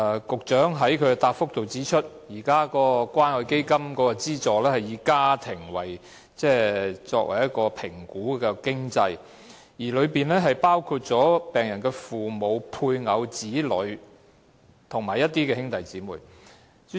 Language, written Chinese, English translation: Cantonese, 局長在主體答覆中指出，現時關愛基金提供的資助須通過以"家庭"為單位的經濟評估，當中包括病人的父母、配偶、子女，以及兄弟姊妹。, As pointed out by the Secretary in the main reply at present the subsidy provided by CCF requires the patient to pass a household - based financial assessment covering his parents spouse children and siblings